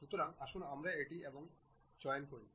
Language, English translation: Bengali, So, let us pick this one and this one